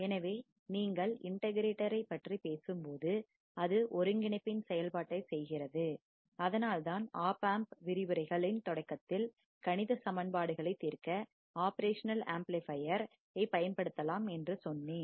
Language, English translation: Tamil, So, when you talk about the integrator, it performs the function of integration that is why in the starting of the op amp lectures, I told you the operational amplifier can be used to solve the mathematical functions